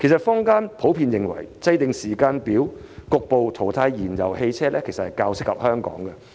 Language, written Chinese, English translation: Cantonese, 坊間普遍認為制訂時間表局部淘汰燃油汽車，較為切合香港的情況。, It is the general view that a timetable for a partial phase - out of fuel - propelled vehicles fits Hong Kong better